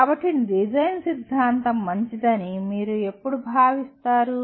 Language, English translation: Telugu, So when do you consider a design theory is good